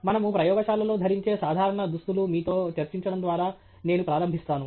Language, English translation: Telugu, I will begin by discussing with you the general apparel that we wear in a lab